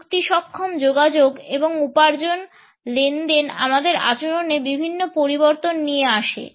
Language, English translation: Bengali, Technology enabled communications and earning transactions bring about various changes in our behaviours